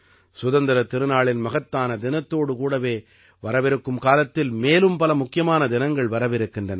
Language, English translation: Tamil, Along with the great festival of Independence Day, many more festivals are lined up in the coming days